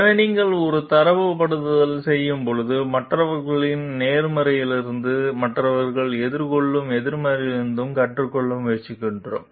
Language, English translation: Tamil, So, when you are doing a benchmarking, we are trying to learn from the positives of others and also, negatives faced by others